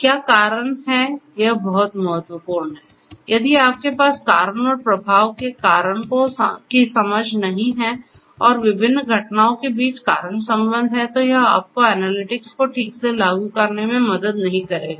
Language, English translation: Hindi, So, what causes something that is very important if you do not have that causal understanding of the cause effect and the causal relationships between different events then that will not help you to implement analytics properly